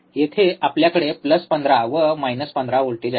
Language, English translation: Marathi, Here we have plus 15 minus 15